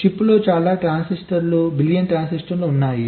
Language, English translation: Telugu, there are so many transistor, billions of transistors in a chip